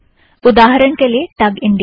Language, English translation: Hindi, For example, contact TUG India